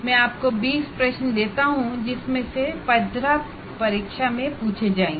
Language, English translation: Hindi, I give you 20 questions out of which 15 will be asked, which happens everywhere